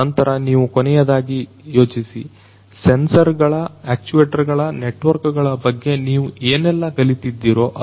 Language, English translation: Kannada, Then the last thing is think about whatever you have learnt in terms of the sensors, the actuators, the networks that is the beauty about industry 4